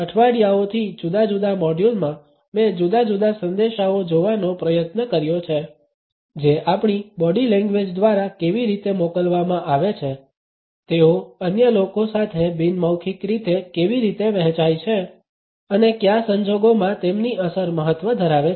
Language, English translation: Gujarati, Over the weeks in different modules I have try to look at different messages which are communicated through our body language how we do send it; how they are shared in a nonverbal manner with others and under what circumstances their impact matters